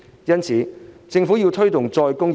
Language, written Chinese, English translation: Cantonese, 因此，政府有必要推動再工業化。, In view of that it is necessary for the Government to take forward re - industrialization